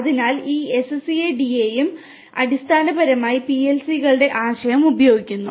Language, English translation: Malayalam, So, this SCADA and SCADA in turn basically use the concept of the PLCs